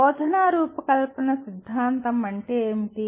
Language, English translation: Telugu, And what is instructional design theory